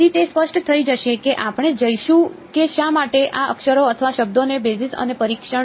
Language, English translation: Gujarati, So, it will become clear as we go what why these letters or words basis and testing